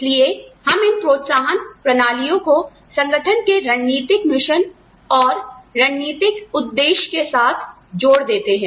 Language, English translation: Hindi, So, we also want to align these incentive systems, with the strategic mission, strategic objectives of the organization